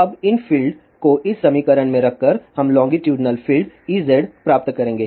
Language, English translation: Hindi, Now, by putting these fields in this equation we will get the longitudinal field E z